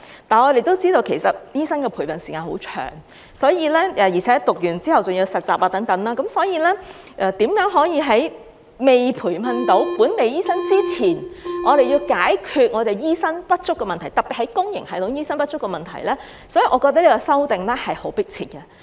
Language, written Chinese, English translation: Cantonese, 但是，我們也知道，其實醫生的培訓時間很長，而且唸完後還要實習等，因此如何能在未培訓到本地醫生之前，解決醫生不足，特別是公營系統醫生不足的問題，我覺得這次修例是很迫切的。, However we also know that the time required for training doctors is actually very long and there is still a need for internship after the training . Thus I think it is very urgent to amend the legislation this time around to solve the problem of shortage of doctors especially doctors in the public sector before local doctors are trained